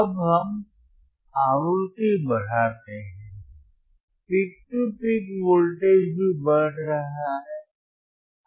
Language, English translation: Hindi, Now, let us increase the frequency, increase in the frequency you can also see that the peak to peak voltage is also increasing